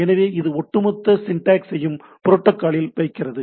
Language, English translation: Tamil, So, this keeps the overall syntax at the protocol